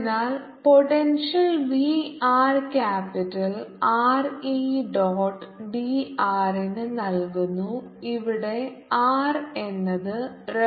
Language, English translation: Malayalam, so the potential b r is given by r, two by r to capital r e dot d r where r is the reference point